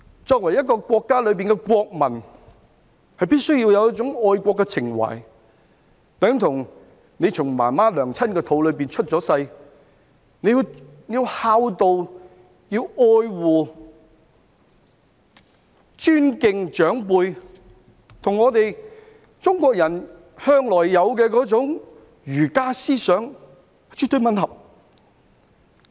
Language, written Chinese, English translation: Cantonese, 作為一個國家的國民，必須要有一種愛國情懷，等同你從媽媽的肚子出世，要孝道、要愛護和尊敬長輩，這與中國人向來有的儒家思想絕對吻合。, As a national we must have patriotic sentiments towards our nation . Like a baby given birth by the mother we should fulfil our filial duty and love and respect the elders . This is in line with the Confucianism that Chinese people always respect